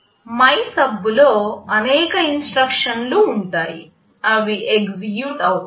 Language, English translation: Telugu, In MYSUB, there will be several instructions, it will execute